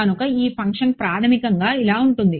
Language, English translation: Telugu, So, this function is basically right